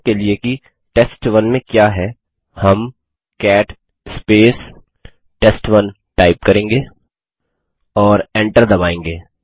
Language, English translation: Hindi, Let us see its content, for that we will type cat sample3 and press enter